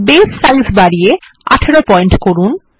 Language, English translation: Bengali, Let us increase the Base size to 18 point